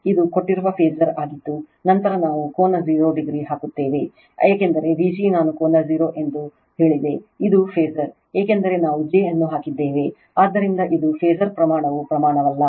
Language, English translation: Kannada, This is the given phasor this is actually then we put angle 0 degree, because V g I told you angle 0 degree, this is a phasor because we have put j, so it is it is phasor quantity not magnitude